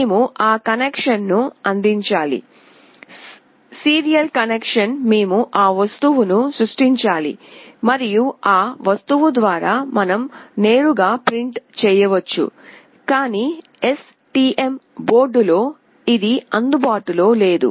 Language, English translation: Telugu, We just need to provide that connection; serial connection we have to create that object and through that object we can directly print it, but in STM board this is not available